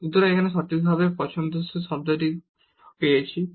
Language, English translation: Bengali, So, we get precisely the desired term here